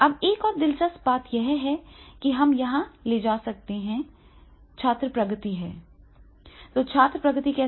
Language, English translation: Hindi, ) Now, we can also, another interesting point, that is, we can taking the student progress, so how to conduct the student progress